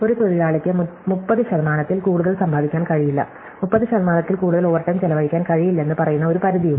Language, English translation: Malayalam, So, there is a limit saying that a worker cannot make more than 30 percent, cannot spend more than 30 percent overtime